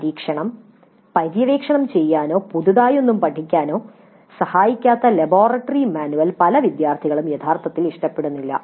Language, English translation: Malayalam, And many of the students actually may not like that kind of laboratory manual which does not help them to explore experiment or learn anything new